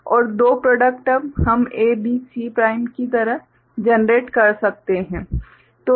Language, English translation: Hindi, And two product terms we can generate like A, B, C prime